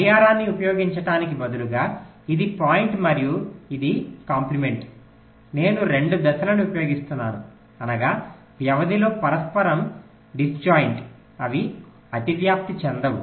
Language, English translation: Telugu, instead of using a clock and its compliments, i am using two phases whose means on period mutually are disjoint, they do not overlap